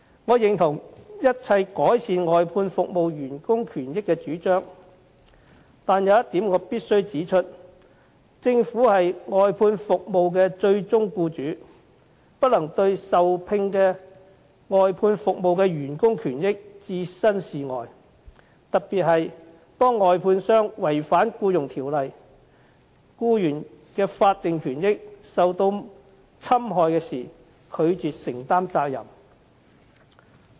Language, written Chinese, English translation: Cantonese, 我認同一切改善外判服務員工權益的主張，但有一點我必須指出，政府是外判服務的最終僱主，不能對受聘外判服務員工的權益置身事外，特別是當外判商違反《僱傭條例》，僱員的法定權益受到侵害時，政府不能拒絕承擔責任。, I support all proposals for improving the rights and benefits of workers of outsourced services but I must point out that the Government being the ultimate employer of outsourced services cannot detach itself from the rights and benefits of workers employed for outsourced services . Particularly when contractors have acted in breach of the Employment Ordinance to the detriment of employees statutory rights and benefits the Government must not refuse to shoulder responsibilities